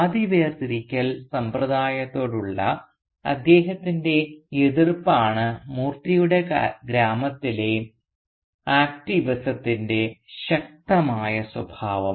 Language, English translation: Malayalam, Moorthy's activism in the village is strongly characterised by his opposition to the system of caste segregation